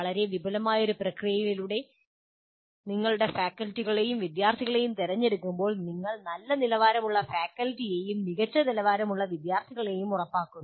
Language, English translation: Malayalam, When you select your faculty and students through very elaborate process, then you are assuring good quality faculty and good quality students